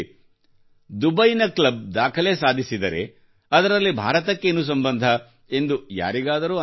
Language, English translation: Kannada, Anyone could think that if Dubai's club set a record, what is its relation with India